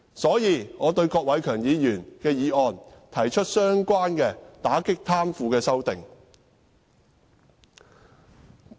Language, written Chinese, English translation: Cantonese, 所以，就郭偉强議員的議案，我提出了關於打擊貪腐的修訂。, Thus I proposed an amendment on combating corruption to Mr KWOK Wai - keungs motion